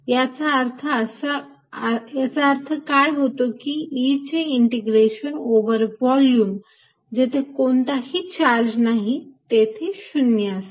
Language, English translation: Marathi, what it means is that integration e over a volume where there is no charge is zero